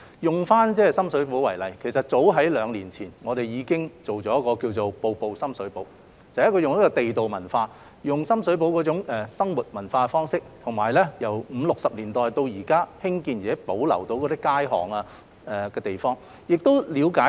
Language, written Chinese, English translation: Cantonese, 以深水埗為例，其實早於兩年前，我們已經推出一項名為"深水埗——步步地道"的項目，利用深水埗那種地道生活文化方式，以及由五六十年代已興建及保留至今的街巷和地方作推廣。, Take Sham Shui Po as an example . As early as two years ago we launched a programme called Sham Shui Po―Every Bit Local . The programme used the local way of life and culture in Sham Shui Po and the alleys and places which had existed since the 1950s and 1960s as the theme for promotion